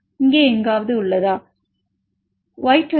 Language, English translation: Tamil, 9 somewhere here, Y26L 0